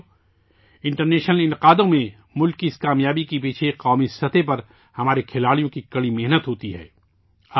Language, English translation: Urdu, Friends, behind this success of the country in international events, is the hard work of our sportspersons at the national level